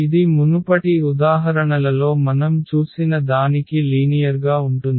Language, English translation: Telugu, So, exactly it is a parallel to what we have just seen in previous examples